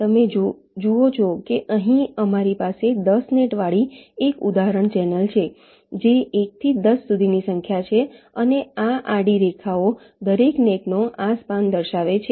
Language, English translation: Gujarati, ok, you see that here we have a example channel with ten nets which are number from one to up to ten, and these horizontal lines show this span of each of the nets